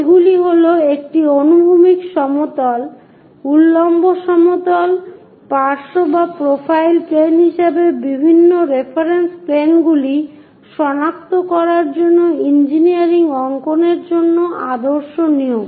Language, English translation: Bengali, These are the standard conventions for engineering drawing to locate different reference planes as horizontal plane, vertical plane side or profile planes